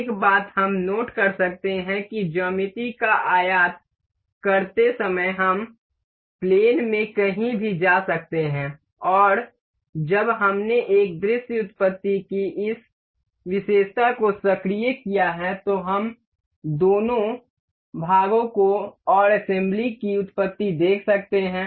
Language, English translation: Hindi, One thing we can note is that while importing the geometry we can move anywhere in the plane and while we have activated this feature of a view origins we can see the origins of both the parts and the assembly